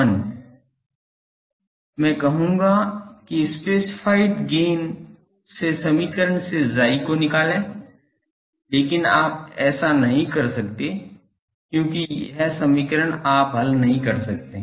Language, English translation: Hindi, Step 1 I will say that from specified gain find x from the equation, but you cannot do because this equation you cannot solve